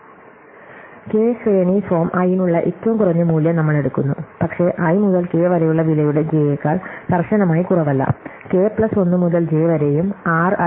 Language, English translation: Malayalam, We take the minimum value for k ranging form i, but not rather strictly less than j of the cost of i to k, cost k plus 1 to j and r i times C k and C j